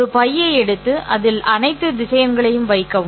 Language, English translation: Tamil, Just take a bag, put all the vectors in that